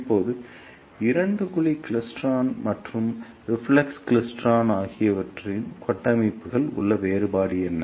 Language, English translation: Tamil, Now, what is the difference in the structures of two cavity klystron and reflex klystron